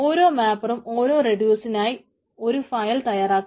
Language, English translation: Malayalam, it, basically, for every reducer it produces a file